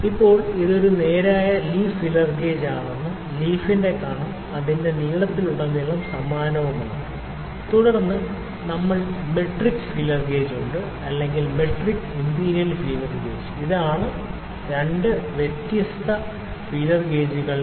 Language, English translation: Malayalam, Now, this is a straight leaf feeler gauge all the whole leaf is the thickness of the leaf is uniform throughout its length, then we have metric feeler gauge, or metric and imperial feeler gauge this are the two different feeler gauges combination metric feeler gauge is the one which gives measurements in the hundreds of a millimeter and imperial is the inch type, it gives the measurement in the thousands of an inch